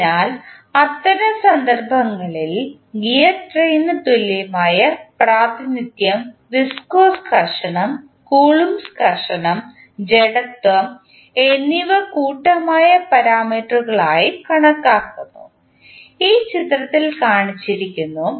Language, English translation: Malayalam, So, in that case the equivalent representation of the gear train with viscous friction, Coulomb friction and inertia as lumped parameters is considered, which is shown in the figure